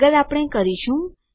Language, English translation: Gujarati, Next we are going to..